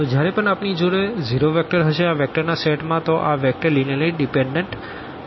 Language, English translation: Gujarati, So, whenever we have a zero vector included in the set of these vectors then these vectors are going to be linearly dependent